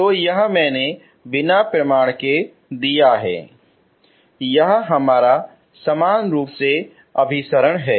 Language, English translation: Hindi, So this I have given without proof is our uniformly convergent